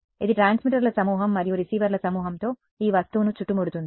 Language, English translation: Telugu, It surround this object by bunch of transmitters and a bunch of receivers